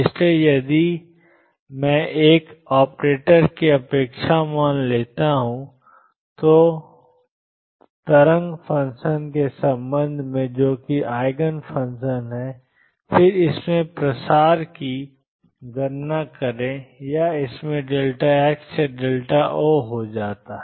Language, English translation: Hindi, So, if I take the expectation value of an operator, with respect to the wave function that are Eigen functions, and then calculate the spread in it or delta x or delta O in it comes out to be 0